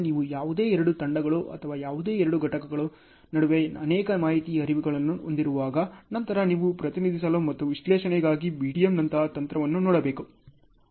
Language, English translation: Kannada, So, when you are having multiple information flows between any two teams or any two components and so on; then you should look at a technique like BDM, for representing and for analysis